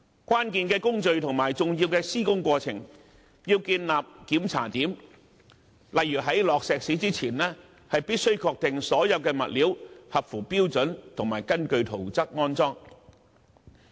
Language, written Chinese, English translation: Cantonese, 關鍵的工序及重要的施工過程必須建立檢查點，例如在注入混凝土前，必須確定所有物料合乎標準，並已根據圖則安裝。, Inspection points must be established for critical procedures and important construction processes for example prior to the injection of concrete it is imperative to confirm that all the materials comply with the standards and have been installed according to the plan